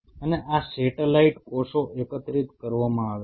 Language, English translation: Gujarati, And these satellite cells are collected